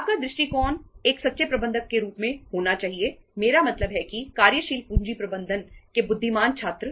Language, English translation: Hindi, Your approach should be as a true manager means I would say that the wise student of working capital management